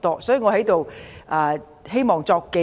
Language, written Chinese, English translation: Cantonese, 所以，我在這裏希望作紀錄。, Thus I hope to put this on record